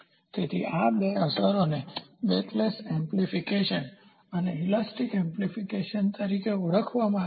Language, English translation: Gujarati, So, these two effects are termed as backlash amplification and elastic amplification